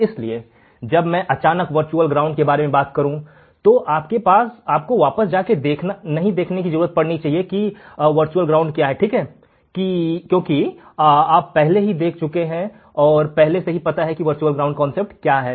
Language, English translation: Hindi, So, when I talk suddenly about virtual ground, you do not have to go back and see what is virtual ground right, because you have already seen and you have already know what exactly virtual ground is